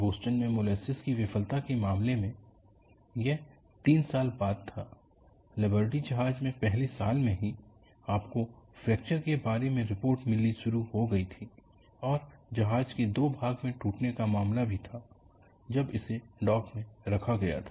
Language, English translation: Hindi, In the case of Boston molasses failure, it wasabout three years later; in Liberty ship, even from the first year onwards, you had started getting reports about fractures, and also the case ofship breaking into two when it was kept at the dock